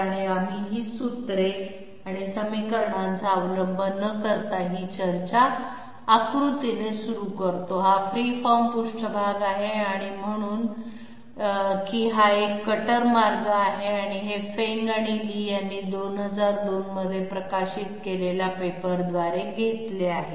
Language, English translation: Marathi, So we start this one, this discussion pictorially without resorting to those formulae and equations, this is the free form surface and say this is a cutter path, so this has been taken by a paper by Feng and Li came out in 2002